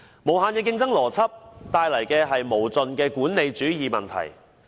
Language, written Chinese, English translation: Cantonese, 無限的競爭邏輯，帶來的是無盡的管理主義問題。, The logic of infinite competition has led to the serious problem of managerialism